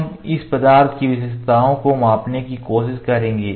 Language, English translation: Hindi, We will try to measure the features of the job this component